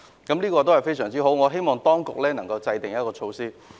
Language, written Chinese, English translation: Cantonese, 這是很好的做法，我希望當局能夠考慮。, This is a good practice and I hope that the Administration will give thought to it